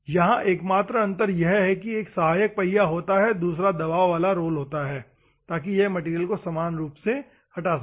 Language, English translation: Hindi, The only difference here is one of the supporting, as well as pressurized rolls, will be there, so that it will have it can remove the material uniformly